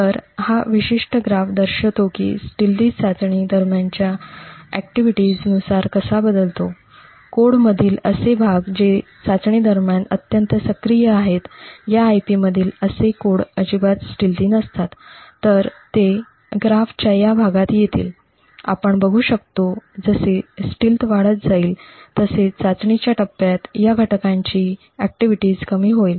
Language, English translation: Marathi, So, this particular graph shows how the stealth varies with the activity during testing for areas within the code which are highly active during testing those parts of the code in this IP are not stealthy at all, so they would come into this region of the graph as the stealth increases what we see is that the activity of these components during the testing phase is less